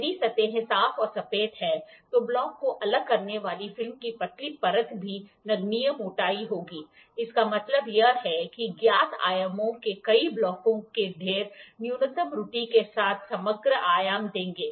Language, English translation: Hindi, If the surfaces are clean and flat the thin layer of film separating the block will also have negligible thickness this means that stacking of multiple blocks of known dimensions will give the overall dimension with minimum error